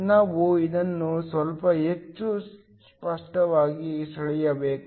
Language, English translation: Kannada, We should draw this slightly more clearly